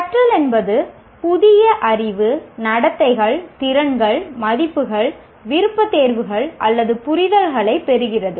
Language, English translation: Tamil, Learning is acquiring new knowledge, behaviors, skills, values, preferences, or understandings, and there are several theories of learning